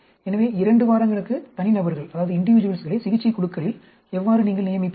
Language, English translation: Tamil, So, how will you assign individuals to the treatment groups in two days